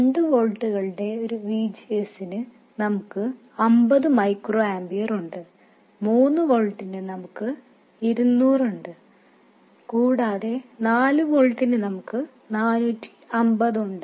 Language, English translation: Malayalam, For a VGS of 2 volts we have 50 micro amperors, for a VGS of 2 volts we have 50 micro amperers, for 3 volts we have 200 and for 4 volts we have 450